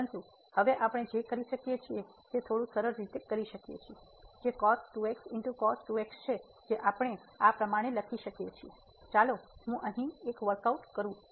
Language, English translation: Gujarati, But, what we can do now we can simplify a little bit so, which is we can write down as so, let me just workout here